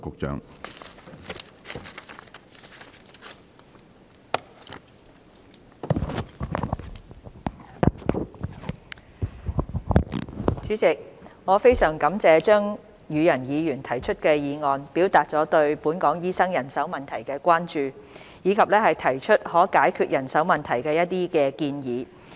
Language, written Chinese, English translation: Cantonese, 主席，我非常感謝張宇人議員提出的議案，表達了對本港醫生人手問題的關注，以及提出一些可解決人手問題的建議。, President I am very grateful to Mr Tommy CHEUNG for moving this motion expressing his concern about the manpower problem of doctors in Hong Kong and putting forward some suggestions for solving the manpower problem